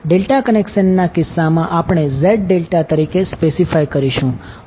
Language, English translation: Gujarati, In case of delta connected we will specify as Z delta